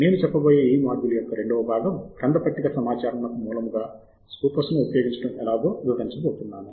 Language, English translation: Telugu, and this second part of the module I am going to use Scopus as the source of bibliographic data